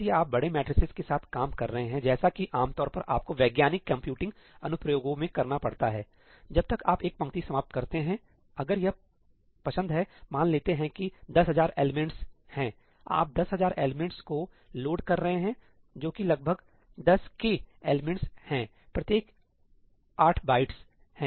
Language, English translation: Hindi, If you are working with large matrices as you generally have to do in scientific computing applications, by the time you finish one row, if it has like, let us say 10,000 elements, you are loading 10,000 elements that is about what 10 K elements, each is 8 bytes